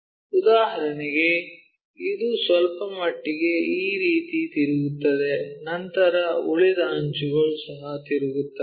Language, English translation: Kannada, For example, this one slightly rotate it in this way, then remaining edges also rotates